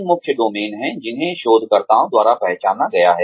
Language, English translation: Hindi, There are three main domains, that have been identified by researchers